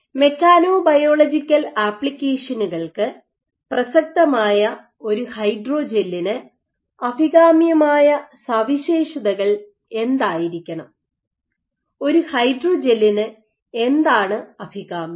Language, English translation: Malayalam, So, for making a hydrogel relevant for mechanobiological applications what should be some of the desirable properties, what is desirable for a hydrogel